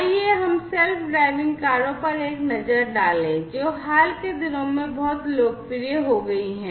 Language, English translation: Hindi, So, let us take a look at the self driving cars, which has very become very popular in the recent times